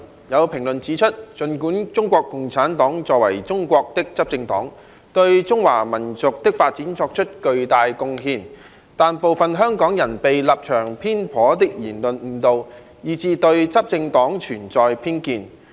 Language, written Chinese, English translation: Cantonese, 有評論指出，儘管中國共產黨作為中國的執政黨，對中華民族的發展作出了巨大貢獻，但部分香港人被立場偏頗的言論誤導，以致對執政黨存有偏見。, There are comments that notwithstanding the fact that CPC being the ruling party of China has made tremendous contributions to the development of the Chinese nation some Hong Kong people are holding prejudice against the ruling party as they have been misled by biased remarks